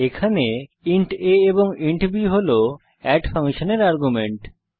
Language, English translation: Bengali, int a and int b are the arguments of the function add